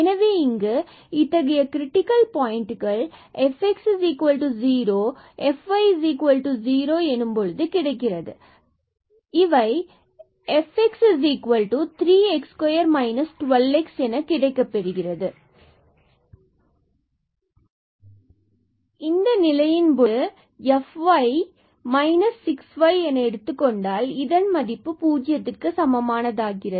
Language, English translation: Tamil, So, here we have the critical points now the fx is equal to 0 and fy is equal to 0, so what do we get, fx is equal to 0 is what is fx, fx is 3 x square minus this 12 x